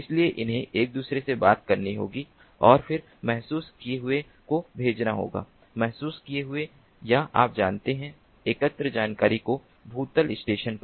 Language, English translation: Hindi, so they have to interconnect, they have to talk to each other and then send that sensed ah, sensed or, you know, collected information to the ground station